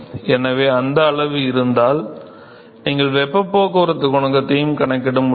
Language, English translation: Tamil, So, if you these quantity you should be able to calculate the heat transport coefficient